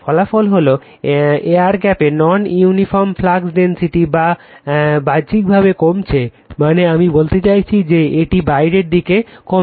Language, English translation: Bengali, The result is non uniform flux density in the air gap that is decreasing outward right, so I mean decreasing your it is outwards